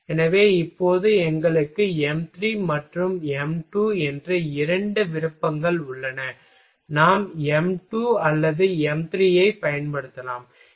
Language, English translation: Tamil, So, now, we have two options m3 and m2 either we can use m2 or m3